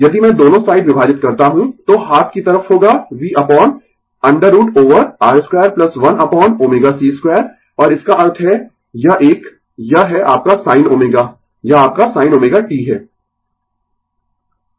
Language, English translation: Hindi, If I divide both side, then right hand side will be v upon root over R square plus 1 upon omega c square right and that means, this one this is your sin omega, this is your sin omega t